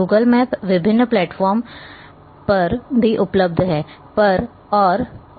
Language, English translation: Hindi, Google map is also available on variety of platforms